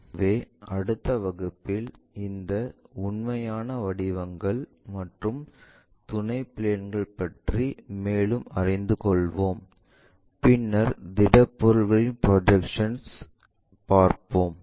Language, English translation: Tamil, So, in the next class, we will learn more about these true shapes and auxiliary planes and then, begin with projection of solids